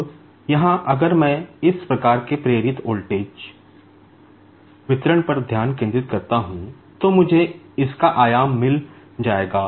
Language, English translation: Hindi, Now, here if I just concentrate on this type of the induced voltage distribution, I will be getting its amplitude